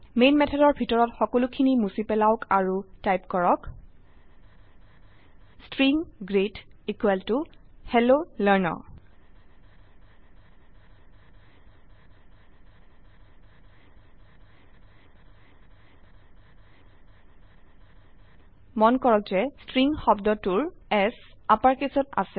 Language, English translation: Assamese, remove everything inside the main method and type String greet equal to Hello Learner : Note that S in the word String is in uppercase